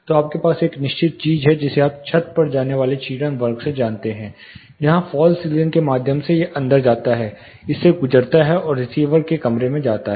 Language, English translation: Hindi, So, you have certain thing called you know to the ceiling, ceiling at attenuation class where through the ceiling fall ceiling it gets in, passes through this and goes to the receiver room